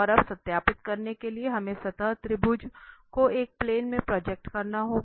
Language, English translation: Hindi, And now to verify, we have to project the surface, the triangle into one of the planes